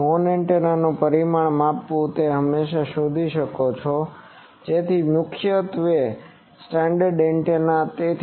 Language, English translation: Gujarati, So, measuring the dimension of the horn you can always find so these are mainly standard antenna